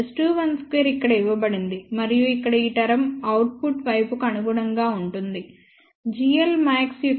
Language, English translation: Telugu, S 21 square is given over here and this term here which corresponds to the output site that gives us maximum value of g l max as 1